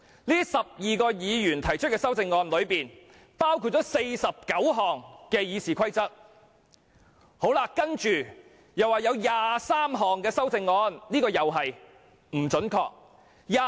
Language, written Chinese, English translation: Cantonese, 他們提出的修訂包括49項修訂《議事規則》的建議，以及23項修訂議案。, The amendments proposed by them include 49 proposals to amend RoP and 23 amending motions